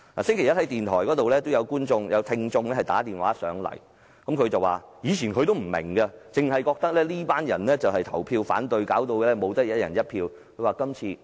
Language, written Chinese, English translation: Cantonese, 星期一，有一位聽眾致電電台節目，表示他以前也不大明白，只知道有些人投票反對令香港人不能"一人一票"選特首。, On Monday an audience phoned in a radio programme . He said that in the past he did not quite understand what had happened all he knew was that some people voted down the proposal for Hong Kong people to elect the Chief Executive by one person one vote